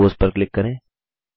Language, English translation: Hindi, Lets click on Compose